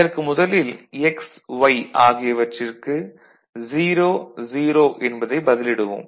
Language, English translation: Tamil, So, x and y both are 0